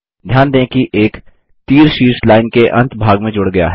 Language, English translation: Hindi, Note that an arrowhead has been added to the top end of the line